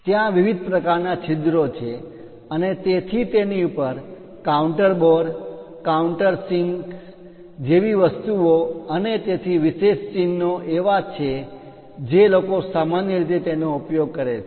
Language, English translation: Gujarati, There are variety of holes and so on so, things like counter bores countersinks and so on there are special symbols people usually use it